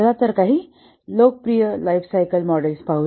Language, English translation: Marathi, Let's look at some popular lifecycle models